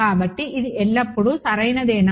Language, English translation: Telugu, So, is this always correct